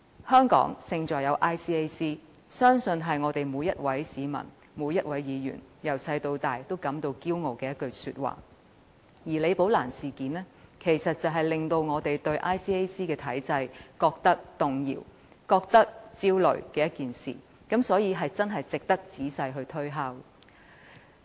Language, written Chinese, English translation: Cantonese, "香港勝在有 ICAC"， 相信是每一位市民、議員從小到大都感到自豪的一句話，而李寶蘭事件卻令我們對 ICAC 的體制感到動搖、焦慮，所以真的值得我們仔細推敲。, I am sure Hong Kong Our Advantage is ICAC is a slogan that makes everyone in Hong Kong feels so proud of since childhood . However the Rebecca LI incident has shaken our confidence in and triggered off public anxiety over the system of the Independent Commission Against Corruption ICAC and it really deserves our careful consideration